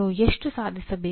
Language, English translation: Kannada, How much should you attain